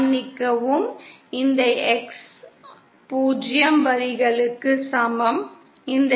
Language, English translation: Tamil, Sorry, this is X equal to 0 line, this is X equal to +0